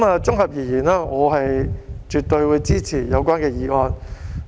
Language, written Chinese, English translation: Cantonese, 綜合而言，我絕對支持有關的議案。, In sum I absolutely support the relevant motion